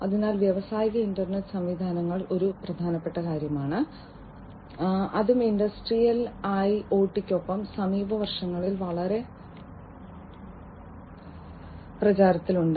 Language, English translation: Malayalam, So, industrial internet systems is something, that has also become very popular, in the recent years along with industrial IoT